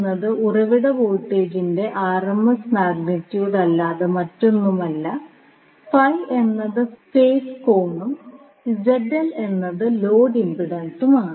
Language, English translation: Malayalam, Now, here VP is nothing but the RMS magnitude of the source voltage and phi is the phase angle and Zl is the load impedance